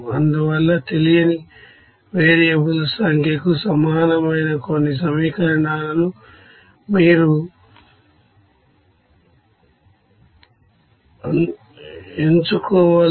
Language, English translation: Telugu, So, you have to select some equations which will be equals to the number of unknown variables